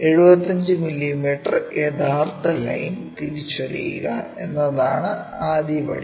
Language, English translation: Malayalam, The first step is identify true line 75 mm